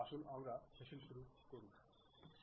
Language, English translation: Bengali, Let us begin our session